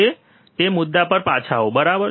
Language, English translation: Gujarati, And coming back to the same point, right